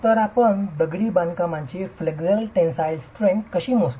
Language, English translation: Marathi, So how do you measure the flexual tensile strength of masonry